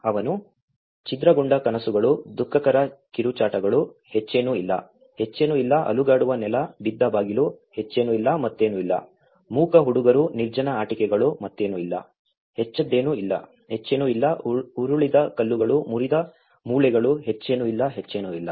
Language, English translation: Kannada, He talks shattered dreams, woeful screams, nothing more, nothing more, shaken floor, fallen door, nothing more, nothing more, silent boys, deserted toys, nothing more, nothing more, tumbled stones, broken bones, nothing more, nothing more